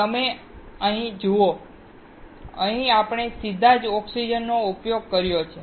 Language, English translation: Gujarati, You see, here we have used oxygen directly